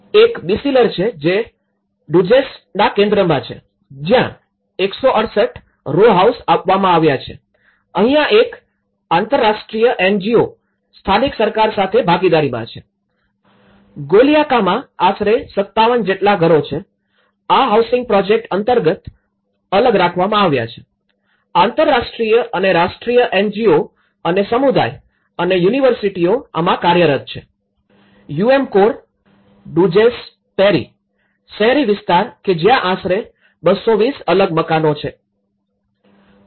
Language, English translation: Gujarati, One is the Beyciler which is in the Duzce centre, it’s the row house about 168 houses are delivered, here there is a international NGO along with the partnership with the local government, the solidarity housing project in Golyaka which is a detached house about 57 houses here, the international and national NGO plus community plus universities, the UMCOR Duzce peri urban areas which is a detached house about 220 houses